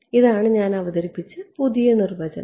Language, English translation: Malayalam, This is the new definition I have introduced